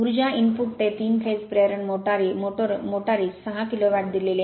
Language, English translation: Marathi, The power input to a 3 phase induction motor is 60 kilo watt